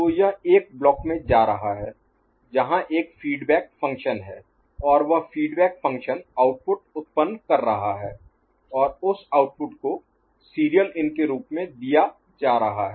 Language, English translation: Hindi, So, it is going to a block where there is a feedback function and that feedback function is generating an output, and that output is getting fed as serial in